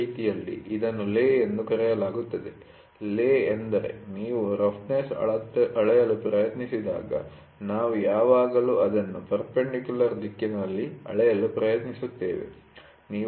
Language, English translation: Kannada, This way it is called as the lay, the lay is the direction which is when you try to measure roughness, we always try to measure it in the perpendicular direction, ok